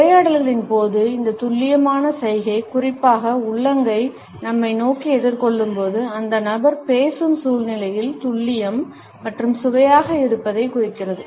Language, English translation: Tamil, During the dialogues, you would find that this precision gesture particularly, when the palm is facing towards ourselves suggests accuracy, precision as well as delicacy of the situation about which the person is talking